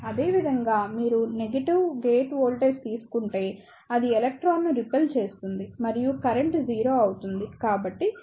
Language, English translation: Telugu, Similarly, if you take negative gate voltage, in that case it will repel the electron and the current will be 0